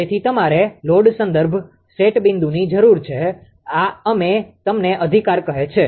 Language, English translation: Gujarati, Therefore you need a load reference set point this is we call u right